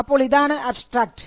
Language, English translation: Malayalam, So, this is the abstract